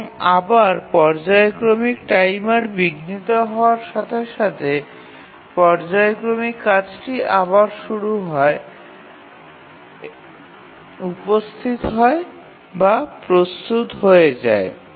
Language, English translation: Bengali, And again, as the periodic timer interrupt comes, the periodic task again becomes it arrives or becomes ready